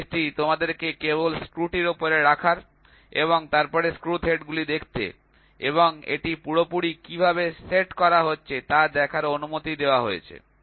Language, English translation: Bengali, So, this gauge is allowed to see you just place this on top of the screw and then see screw threads and see how much it is perfectly setting